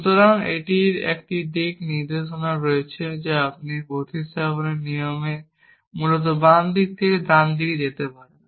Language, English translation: Bengali, So, it has a sense of direction you can go from left to right essentially in rules of substitution